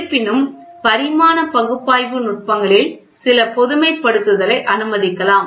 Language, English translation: Tamil, However, the techniques can be dimensional analysis may allow some generalization